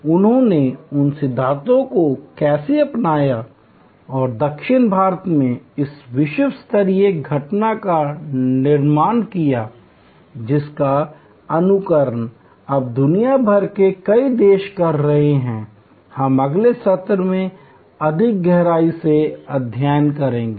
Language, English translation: Hindi, How they adopted those principles and created this world class phenomenon in South India now emulated in so, many countries across the world, we will study in greater depth in the next session